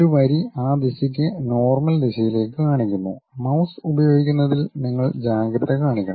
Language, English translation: Malayalam, One of the line is is going to show it in normal to that direction you have to be careful in using mouse